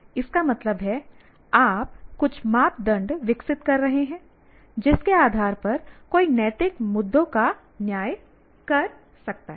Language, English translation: Hindi, That means you are developing some criteria based on which one can judge the ethical issues